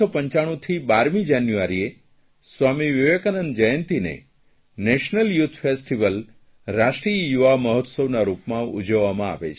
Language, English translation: Gujarati, Since 1995, 12th January, the birth Anniversary of Vivekananda is celebrated as the National Youth Festival